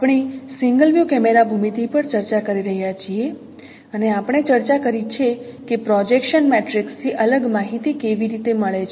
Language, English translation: Gujarati, We are discussing on single view camera geometry and we have discussed how different information can be obtained from a projection matrix